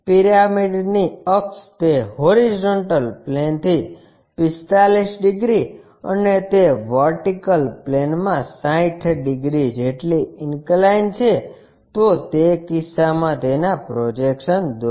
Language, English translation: Gujarati, The axis of the pyramid is inclined at 45 degrees to that horizontal plane and 60 degrees to that vertical plane, if that is the case draw its projections, ok